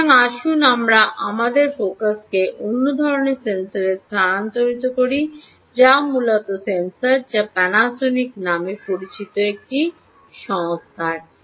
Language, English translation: Bengali, ok, so lets shift our focus to another type of sensor which is here, which is essentially ah a sensor, which is from a company called panasonic